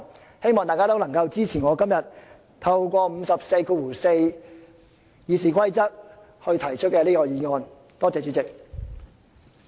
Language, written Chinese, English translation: Cantonese, 我希望大家支持我今天根據《議事規則》第544條提出的這項議案，多謝主席。, I hope Members can support this motion proposed by me under RoP 544 today . Thank you President